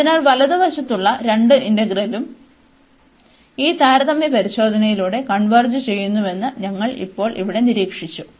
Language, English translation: Malayalam, So, what we have observed now here that both the integrals on the right hand side, they both converges by this comparison test